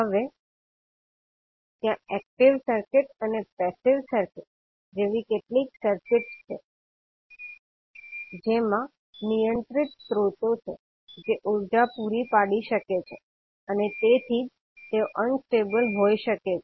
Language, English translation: Gujarati, Now there are certain circuits like active circuit and passive circuit which contains the controlled sources which can supply energy and that is why they can be unstable